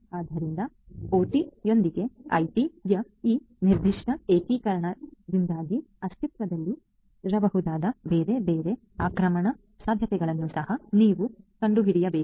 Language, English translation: Kannada, So, you need to also find out the different other attack possibilities that might exist due to this particular integration of IT with OT